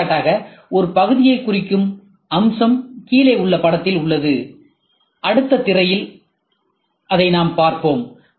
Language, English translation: Tamil, Consider for example, a feature representing in a part is being in the below figure, next slide we will see